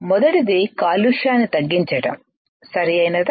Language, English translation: Telugu, First is to reduce to reduce contamination, right